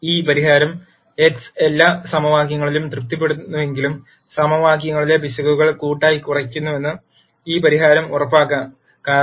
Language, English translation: Malayalam, While this solution x might not satisfy all the equations, this solution will ensure that the errors in the equations are collectively minimized